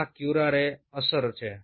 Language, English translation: Gujarati, this is the effect of curare